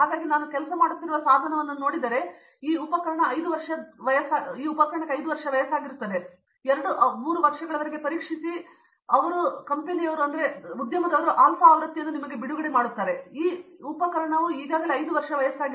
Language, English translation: Kannada, So if I get a tool that I am working, this tool is 5 years old they would have tested for 2, 3 years and then release the alpha version to you and so that tool is already 5 years old